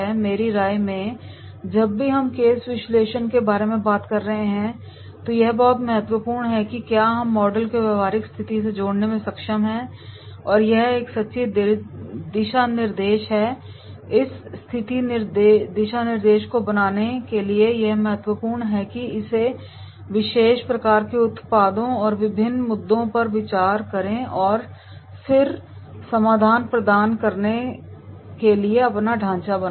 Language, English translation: Hindi, In my opinion whenever we are talking about the case analysis it is very very important that is we are able to connect the theoretical concepts and model to the practical situation and that is a true guideline, for making this true guideline this is important that is we are going through this particular type of the products and different issues we consider and then we are making our own framework to provide the solution